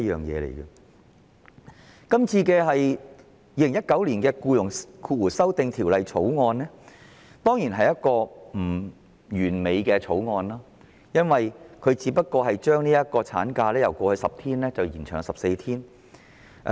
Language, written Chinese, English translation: Cantonese, 《2019年僱傭條例草案》當然並不完美，因為《條例草案》只建議將產假由過去10星期延長至14星期。, The Employment Amendment Bill 2019 the Bill is certainly not perfect because it only proposes to extend the maternity leave ML period from 10 weeks in the past to 14 weeks